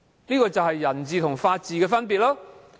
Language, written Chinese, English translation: Cantonese, 這便是人治和法治的分別。, This is the difference between the rule of man and the rule of law